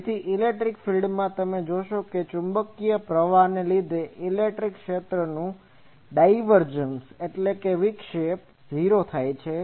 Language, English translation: Gujarati, So, electric field you see that the divergence of the electric field due to the magnetic current that is 0